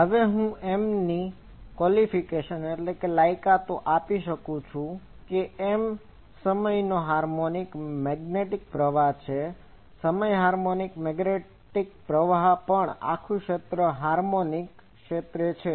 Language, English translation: Gujarati, Now, I give the qualifications of M that M is a time harmonic magnetic current, time harmonic magnetic current also the whole region is a Homogeneous region